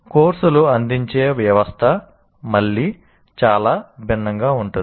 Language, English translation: Telugu, So the system under which the course is offered is very different again